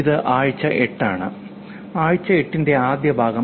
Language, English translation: Malayalam, This is week 8, the first part of week 8